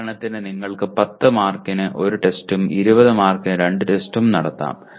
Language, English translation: Malayalam, For example you can have test 1 10 marks and 20 marks for test 2